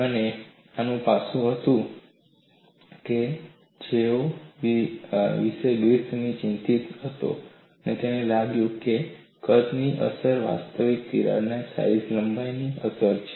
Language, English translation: Gujarati, So, what Griffith concluded was, the apparent size effect was actually a crack size effect